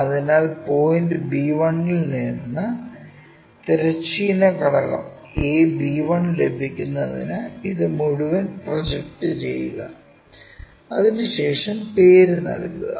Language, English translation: Malayalam, So, project this one all the way up to get horizontal component a b 1 from point b 1 and name it one somewhere we are going to name it